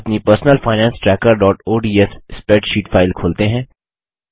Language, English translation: Hindi, Let us open our Personal Finance Tracker.ods spreadsheet